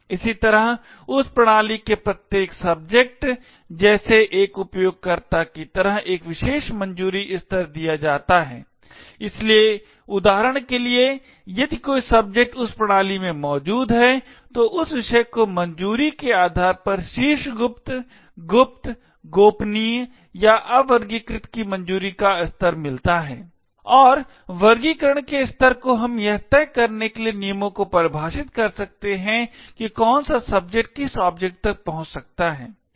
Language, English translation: Hindi, Similarly every subject like a user of that system is also given a particular clearance level, so for an example if a subject X is present in that system, that subject get a clearance level of top secret, secret, confidential or unclassified, based on this clearance and classification levels we can then define rules to decide which subject can access which object